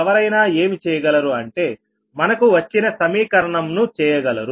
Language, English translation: Telugu, so what one can do is this equation we have got right